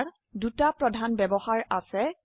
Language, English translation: Assamese, It has two major uses